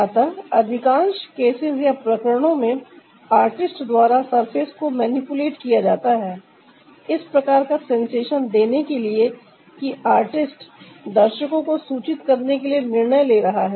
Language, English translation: Hindi, so in most of the cases, the surfaces are manipulated by the artist to give the sensation that the artist is deciding to convey to the viewer